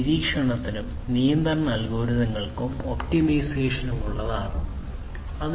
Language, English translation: Malayalam, Algorithms for monitoring, algorithms for control algorithms, for optimization, and so on